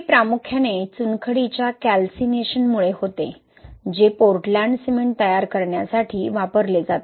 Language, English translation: Marathi, Primarily it is due to the calcination of limestone which is used to manufacture Portland cement